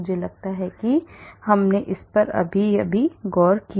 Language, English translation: Hindi, I think we looked at that also